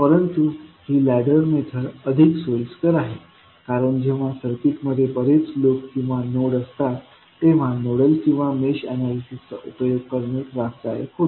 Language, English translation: Marathi, But this approach, what is the ladder approach we discuss is more convenient because when the circuit has many loops or nodes, applying nodal or mesh analysis become cumbersome